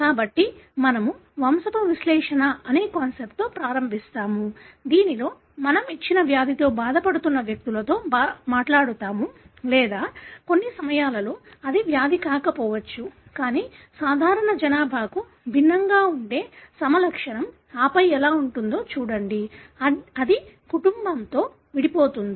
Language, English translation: Telugu, So, we will start with a concept called as pedigree analysis wherein we talk to individuals that are affected with a given disease or at times it could may not be a disease, but a phenotype that is very different from a normal population and then see how it segregates in the family